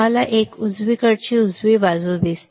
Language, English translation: Marathi, You see this one right side see the right side ok